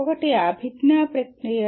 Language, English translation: Telugu, One is the cognitive process